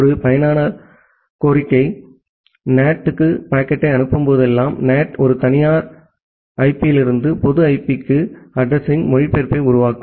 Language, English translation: Tamil, And then whenever a user request send the packet to the NAT, the NAT just make an address translation from a private IP to a public IP